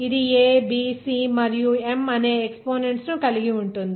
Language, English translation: Telugu, That is involving the exponents a b c and m